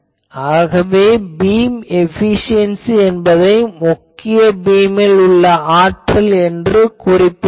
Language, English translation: Tamil, So, I can also write beam efficiency that will be power in the main beam